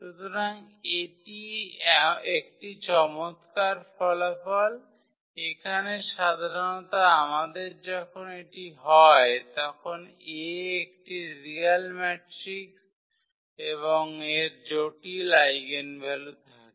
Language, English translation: Bengali, So, that is a nice result here in general we have this then A is a real matrix and has complex eigenvalues